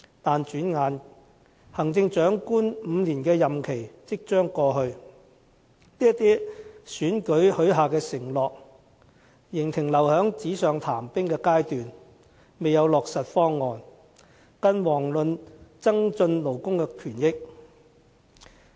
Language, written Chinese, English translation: Cantonese, 但轉眼間，行政長官5年任期即將過去，這些在選舉中許下的承諾，仍留在紙上談兵的階段，未有落實方案，更遑論增進勞工權益。, Time flies and the five - year term of the incumbent Chief Executive is already coming to an end . But all the undertakings made in the election are still castles in the air . There have been no concrete schemes of implementation let alone any improvements to workers rights and interests